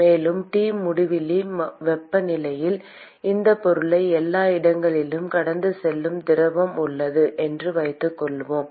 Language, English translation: Tamil, And let us assume that there is fluid which is flowing past this object everywhere at temperature T infinity